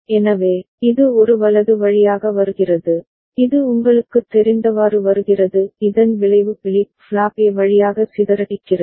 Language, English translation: Tamil, So, it is coming via A right, it is coming as you know kind of the effect is rippling through flip flop A to coming to flip flop B right